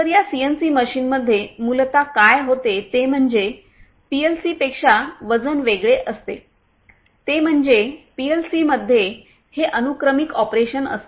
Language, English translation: Marathi, So, in this CNC machines basically you know what happens is you know the weight is different from the PLCs is that in the PLC it is the sequential operation and in the PLCs